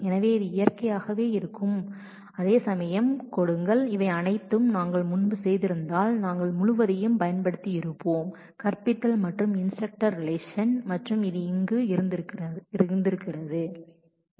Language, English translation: Tamil, So, this will naturally give it whereas, if we had done all of these join earlier we would have used the whole of the teaches and the instructor relations and that would have been quite a lot of tuples would have been there